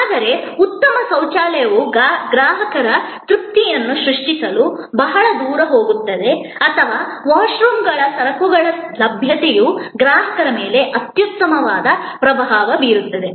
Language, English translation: Kannada, But, a clean toilet goes a long way to create customer satisfaction or goods availability of washrooms create an excellent impression on the customer